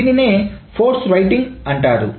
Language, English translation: Telugu, That is called a force writing